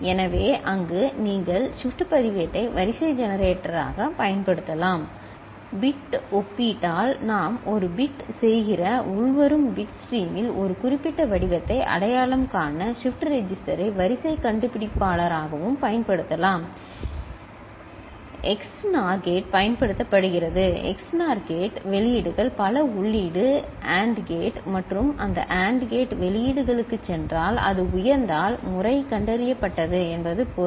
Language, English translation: Tamil, So, there you can use shift register as sequence generator And shift register can be used as sequence detector also to identify a specific pattern in the incoming bit stream where we are doing a bit by bit comparison, XNOR gate is used and XNOR gate outputs are going to a multi input AND gate and that AND gate output is if, when it goes high that means, the pattern is detected